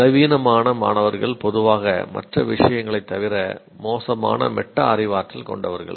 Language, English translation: Tamil, Weaker students typically have poor metacognition besides other things